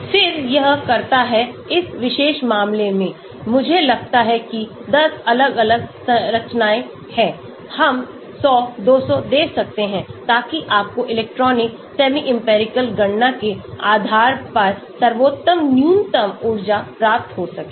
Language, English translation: Hindi, Then, it does; in this particular case, I think 10 different conformation, we can give 100, 200 so that you get the best minimum energy conformation based on electronic semi empirical calculation